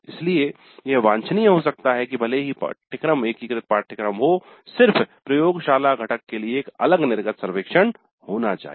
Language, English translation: Hindi, So it may be desirable even if the course is integrated course to have a separate exit survey only for the laboratory component